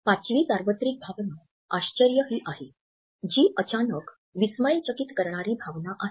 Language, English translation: Marathi, The fifth universal emotion is that of surprise, which is a sudden feeling of astonishment